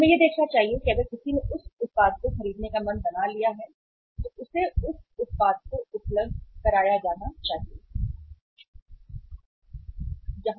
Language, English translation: Hindi, We should look for that if somebody has made up the mind to buy the product he should be served with that product if the product should be available